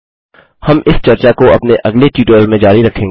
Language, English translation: Hindi, We will continue this discussion in the next tutorial